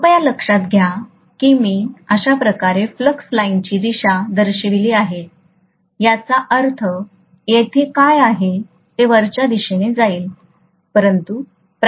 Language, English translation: Marathi, Please note that I have shown the direction of flux lines this way, which means what is coming here will be upward